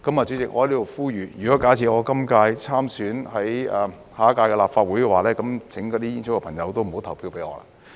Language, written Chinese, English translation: Cantonese, 主席，我在此呼籲，假設我參選下一屆立法會的話，請那些煙草業的朋友不要投票給我。, President I would like to make an appeal here that in case I would run for the next Legislative Council election those friends from the tobacco industry please do not vote for me